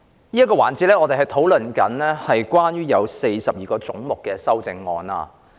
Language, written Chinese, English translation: Cantonese, 這個環節我們討論有關42個總目的修正案。, In this session we discuss the amendments to the 42 heads